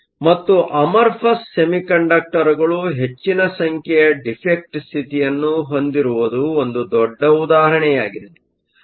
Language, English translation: Kannada, And, amorphous semiconductor is an extreme example of a semiconductor the large number of defect states